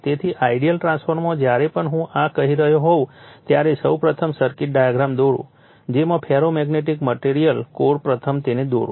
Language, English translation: Gujarati, So, in an ideal transformeRLoss of whenever I am telling this first you draw the circuit diagram in the beginning right the ferromagnetic material the core the winding first you draw it